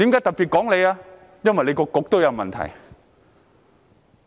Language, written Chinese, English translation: Cantonese, 因為他的政策局也有問題。, It is because there are also problems with his Policy Bureau